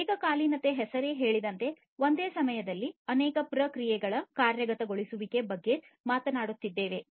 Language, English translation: Kannada, Concurrency is very important, concurrency as this name says we are talking about concurrency of execution of multiple processes at the same time